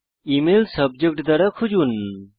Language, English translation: Bengali, Search for emails by Subject